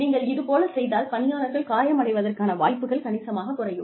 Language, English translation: Tamil, And, if you do these things, the chances of people getting hurt, are significantly reduced